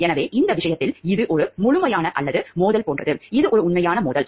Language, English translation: Tamil, So, in this case it is an absolute or like conflict of interest, which is an actual conflict of interest